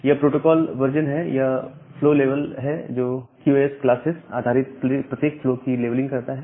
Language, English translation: Hindi, This is the protocol version, then the flow level, leveling every flow based on its QoS classes, the payload length